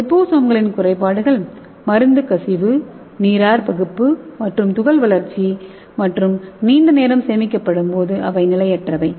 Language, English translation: Tamil, So here in drawback of liposomes are drug leakage, hydrolysis and particle growth and unstable during storage